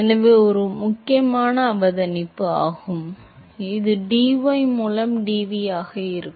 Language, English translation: Tamil, So, that is an important observation that is the v into dv by dy